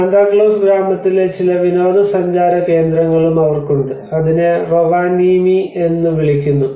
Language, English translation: Malayalam, They have also some tourist attractions of Santa Claus village which we call it as Rovaniemi